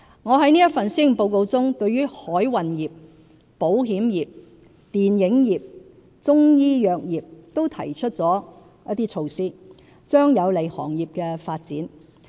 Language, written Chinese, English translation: Cantonese, 我在這份施政報告中對海運業、保險業、電影業、中醫藥業等均提出了一些措施，將有利行業的發展。, The initiatives on the maritime industry insurance industry film industry Chinese medicine sector etc . I propose in this Policy Address will be conducive to the development of the industries and sector